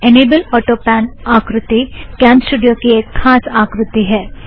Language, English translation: Hindi, The Enable Autopan feature is a unique feature of CamStudio